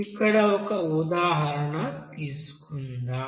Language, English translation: Telugu, Let us have example here